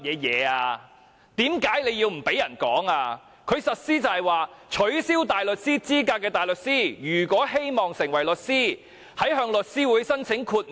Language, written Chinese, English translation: Cantonese, 有關規定是被取消大律師資格的大律師，如果希望成為律師，可向律師會提出申請，要求豁免。, The requirements are concerned with a disbarred barrister who wishes to become a solicitor must meet before applying to Law Society for exemption